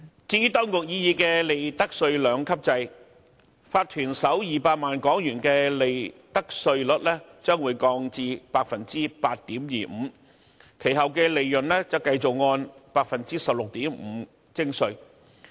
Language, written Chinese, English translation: Cantonese, 至於當局擬議的利得稅兩級制，法團首200萬元的利得稅率將會降至 8.25%， 其後的利潤則繼續按 16.5% 徵稅。, As regards the proposed two - tiered regime the profits tax rate for the first 2 million of profits of corporations will be lowered to 8.25 % with the remainder subject to the existing tax rate of 16.5 % ; as for unincorporated businesses the corresponding profits tax rates will be 7.5 % and 15 % respectively